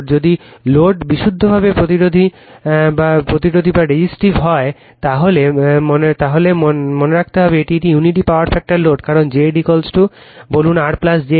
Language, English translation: Bengali, If load is purely resistive means it is unity power factor load, because Z is equal to say R plus j X